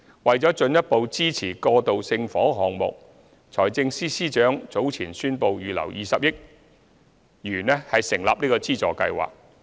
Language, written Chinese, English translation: Cantonese, 為了進一步支持過渡性房屋項目，財政司司長早前宣布預留20億元成立資助計劃。, The Financial Secretary has set aside 2 billion for a subsidy scheme to further support transitional housing projects